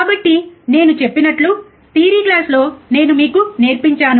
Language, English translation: Telugu, So, like I said and I have taught you in my theory class